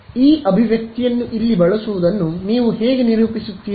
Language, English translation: Kannada, So, how do you characterize this is using this expression over here